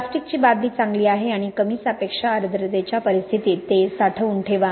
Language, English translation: Marathi, Plastic bucket is quite good and store these under low relative humidity conditions